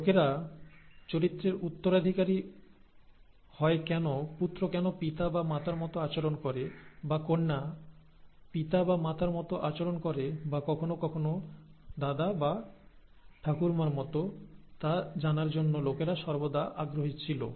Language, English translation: Bengali, People were always curious to know why people inherit characters, why a son behaves like the father or the mother, or the daughter behaves like the father or the mother and so on, or sometimes even like the grandfather or grandmother